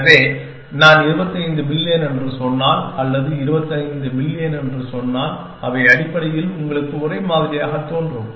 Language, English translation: Tamil, So, we cannot if I say 25 billion or if I say 25 million, they basically appears same to you essentially